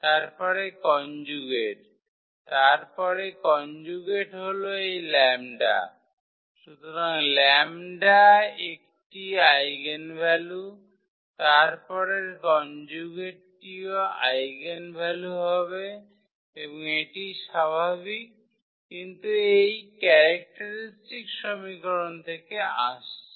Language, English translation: Bengali, Then the conjugate ; then the conjugate this lambda bar, so lambda is an eigenvalue, then the conjugate will be also the eigenvalue and, but that is natural which is coming from this characteristic equation